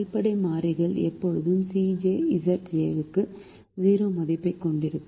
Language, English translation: Tamil, the basic variables will always have zero value for c j minus z j